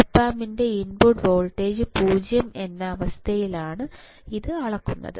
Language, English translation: Malayalam, It is measured in the condition, a input voltage of the op amp is 0, right